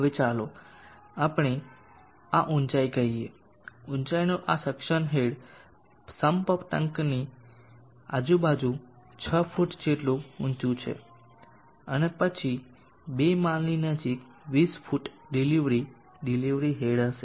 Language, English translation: Gujarati, Now let us say this height, the suction head of height is around 6 feet deep into the sum tank, and then going up close to two floors would be 20 feet delivery head